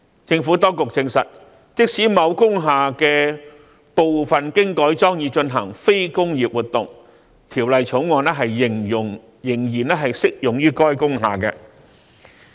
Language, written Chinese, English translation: Cantonese, 政府當局證實，即使某工廈部分經改裝以進行非工業活動，《條例草案》仍然適用於該工廈。, The Administration has affirmed that the Bill will be applicable to an industrial building even if part of it has been converted for carrying out non - industrial activities